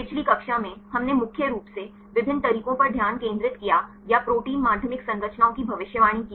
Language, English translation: Hindi, In the previous class we mainly focused on the different methods or predicting protein secondary structures